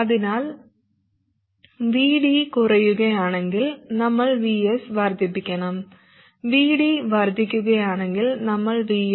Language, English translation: Malayalam, So if VD reduces we, we must increase VS, and if VD increases, we must reduce VS